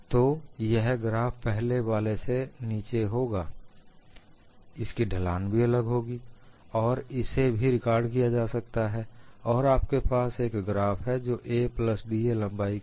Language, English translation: Hindi, So, the graph will be below the earlier one, the slope will be different, and this also can be recorded, and you have a graph which is for a plus d